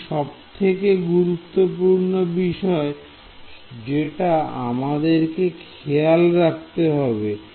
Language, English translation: Bengali, So, this is the important thing that we have to keep in mind